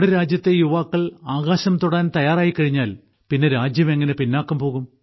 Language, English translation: Malayalam, When the youth of the country is ready to touch the sky, how can our country be left behind